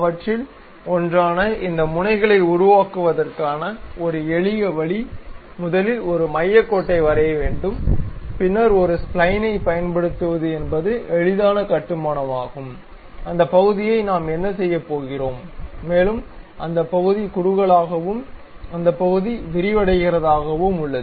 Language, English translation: Tamil, And one of the a simple way of constructing these nozzles is first draw a centre line, then use a spline, the easiest construction what we are going to do that portion is converging, and that portion we are having diverging